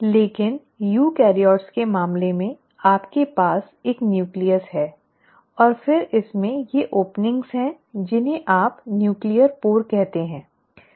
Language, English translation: Hindi, But in case of eukaryotes you have a nucleus, and then it has these openings which you call as the nuclear pore